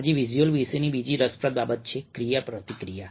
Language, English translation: Gujarati, the other interesting thing about visuals today is interactivity